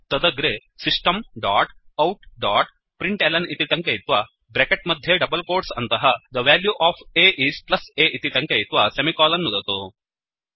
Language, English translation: Sanskrit, Then type System dot out dot println within brackets and double quotes The value of a is plus a semicolon